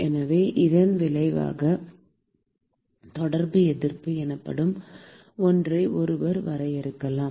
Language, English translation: Tamil, So, as a result, one could define something called a Contact Resistance